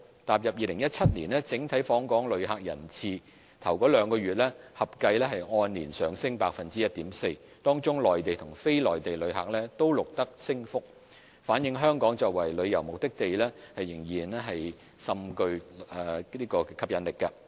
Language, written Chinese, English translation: Cantonese, 踏入2017年，整體訪港旅客人次首兩月合計按年上升 1.4%， 當中內地和非內地旅客均錄得升幅，反映香港作為旅遊目的地仍甚具吸引力。, As we entered 2017 total visitor arrivals has increased by 1.4 % year - on - year for the first two months in which both the number of Mainland and non - Mainland visitors have increased reflecting that Hong Kong is still pretty attractive as a tourist destination